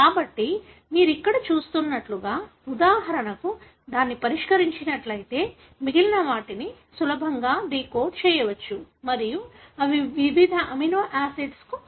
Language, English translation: Telugu, So, if that is fixed for example, like what you see here, then the rest can easily be decoded and they give the meaning for different amino acids